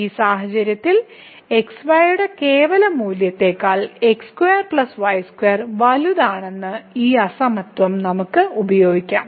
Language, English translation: Malayalam, So, in this case, we can use this inequality that square plus square is greater than the absolute value of